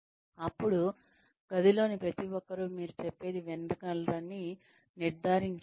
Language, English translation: Telugu, Then, make sure that, everybody in the room can hear, what you are saying